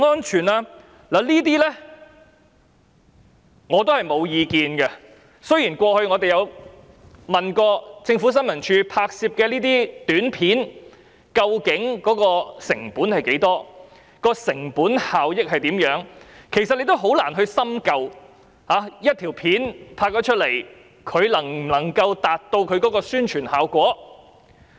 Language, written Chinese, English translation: Cantonese, 雖然我們過往曾詢問政府新聞處拍攝這些短片的成本是多少及成本效益有多大，但事實上是很難深究一條短片可否真正達到宣傳效果。, Although we asked ISD about the costs and cost - effectiveness of producing APIs in the past it is actually difficult to explore if an API can really have publicity effects